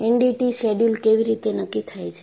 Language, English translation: Gujarati, How is the NDT schedule decided